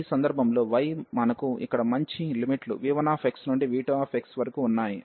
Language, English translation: Telugu, So, in this case the y we have the nice limits here v 1 x to v 2 x